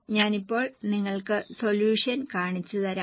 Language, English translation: Malayalam, I will show you the solution now